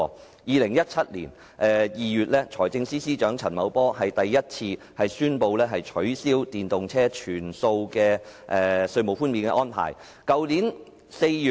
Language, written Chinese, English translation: Cantonese, 在2017年2月，財務司司長陳茂波首次宣布取消電動車的全數稅務寬免安排。, In February 2017 the Financial Secretary Mr Paul CHAN announced the abolition of all tax concessions for EVs